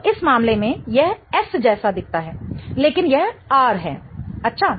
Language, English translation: Hindi, So, in this case, this looks like S, but it is R